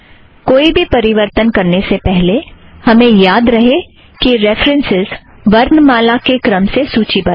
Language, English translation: Hindi, Before we make changes, let us recall that the references here are all in alphabetical order For example, B